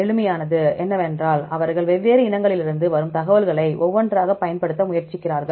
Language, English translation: Tamil, The simplest one is they try to utilize the information from different species together